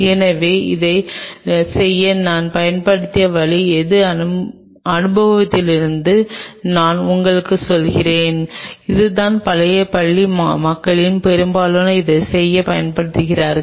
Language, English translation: Tamil, So, the way I used to do it this is from my experience I am telling you and this is how and most of the old school people use to do it